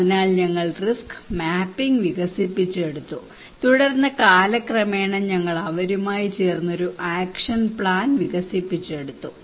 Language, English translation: Malayalam, So we developed risk mapping and then over the period of time we developed an action plan with them